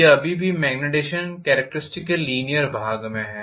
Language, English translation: Hindi, It is still in the linear portion of the magnetization characteristic